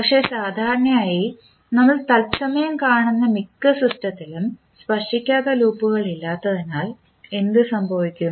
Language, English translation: Malayalam, But, what happens that the generally in most of the system which you see in real time do not have non touching loops